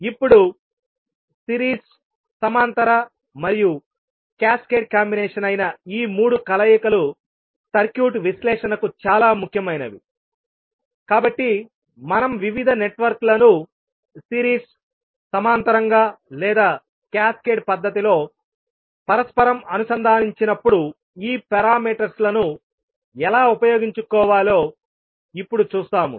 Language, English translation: Telugu, Now these 3 combinations that is series, parallel and cascaded combinations are very important for the circuit analysis, so we will see now how we can utilise these parameters when we interconnect the various networks either in series, parallel or cascaded manner